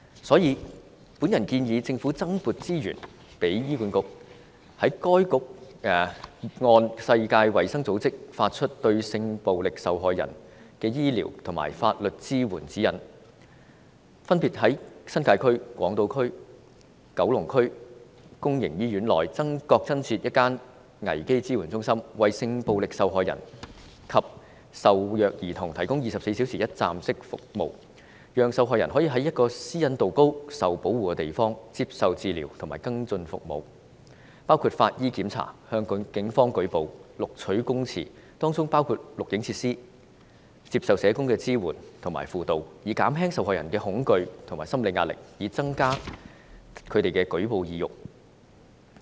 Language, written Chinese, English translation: Cantonese, 所以，我建議政府增撥資源予醫院管理局，讓該局按世界衞生組織發出的《對性暴力受害人之醫療及法律支援指引》，分別於新界、港島及九龍區公營醫院內各增設一間危機支援中心，為性暴力受害人及受虐兒童提供24小時一站式服務，讓受害人可在私隱度高和受保護的地方接受治療及跟進服務，包括法醫檢查、向警方舉報和錄取供詞，當中包括錄影設施、接受社工支援和輔導，以減輕受害人的恐懼和心理壓力，以及增加她們的舉報意欲。, For that reason I urge the Government to allocate additional resources to the Hospital Authority . According to the guidelines for medico - legal care for victims of sexual violence issued by the World Health Organization a crisis support centre should be set up in public hospitals respectively in the New Territories on Hong Kong Island and in Kowloon to provide sexual violence victims and abused children with 24 - hour one - stop services . The victims should be allowed to receive treatment and follow - up services and undergo necessary procedures including medical treatment forensic examinations reporting to the Police statement taking receiving support and counselling from social workers in a designated and suitable place with high privacy protection with a view to alleviating the fear and psychological pressure of the victims and enhancing their propensity to report their cases to the Police